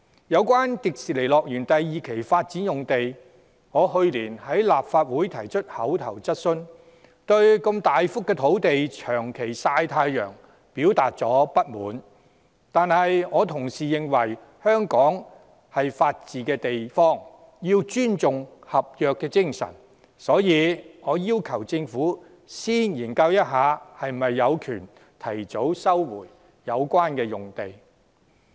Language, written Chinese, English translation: Cantonese, 有關迪士尼樂園第二期發展用地，我去年在立法會提出口頭質詢，對如此大幅的土地長期"曬太陽"表達不滿，但我同時認為，香港是法治的地方，須尊重合約精神，所以我要求政府先研究是否有權提早收回相關用地。, On the site reserved for the second phase development of Disneyland while I posed an oral question in this Council last year and expressed my frustration over the site being left idle under the sun for so long I also think that with Hong Kong being a place where the rule of law reigns the spirit of contract must be respected . Hence I requested the Government to study whether it has the right for early resumption of the site